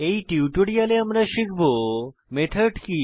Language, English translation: Bengali, In this tutorial we will learn What is a method